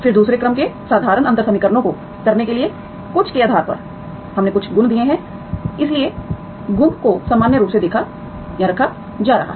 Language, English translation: Hindi, Then so based on something to do the second order ordinary differential equations, we have given certain properties, so the property is putting into the normal form